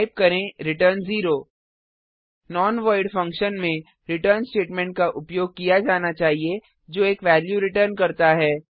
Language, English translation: Hindi, Type return 0 A non void function must use a return statement that returns a value